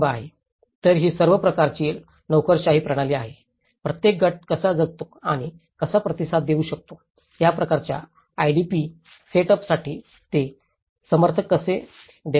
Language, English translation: Marathi, So, these are all a kind of bureaucratic system, how each group is living and how they are able to response, how they are able to give support for this kind of IDP setup